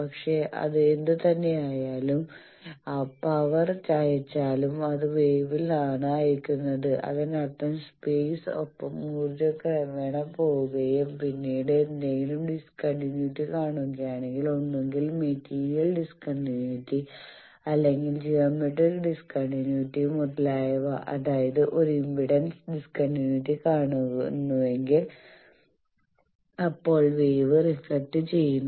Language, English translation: Malayalam, But whatever it is even if it sending the power it is sent in the form of wave, that means with space the energy gradually goes and then if it sees some discontinuity either a material discontinuity or geometric discontinuity etcetera that means, if it sees a impedance discontinuity then the wave gets reflected